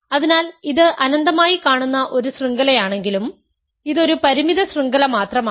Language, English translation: Malayalam, So, though it is an infinite looking chain, it is only a finite chain